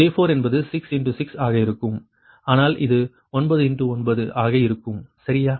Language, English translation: Tamil, j four will be six into six, right, but this one will be nine into nine, right